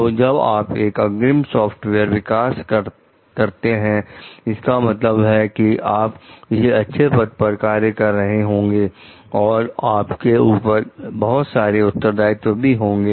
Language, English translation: Hindi, So, when you are a lead software developer, it means you are working in a responsible position and you have many responsibilities also